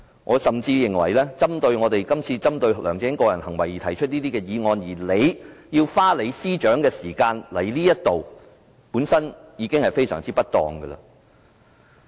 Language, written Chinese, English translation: Cantonese, 我甚至認為，我們今次針對梁振英個人行為提出這項議案，司長花時間來立法會，本身已是非常不當。, I even think that it is very improper for the Chief Secretary to spend time to attend this Council meeting to respond to our motion targeting the personal behaviour of LEUNG Chun - ying